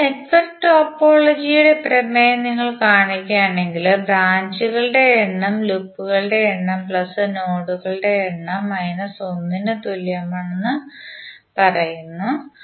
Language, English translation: Malayalam, So if you see the theorem of network topology it says that the number of branches are equal to number of loops plus number of nodes minus 1